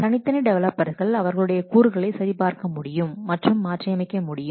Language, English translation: Tamil, The individual developers, they check out the components and modify them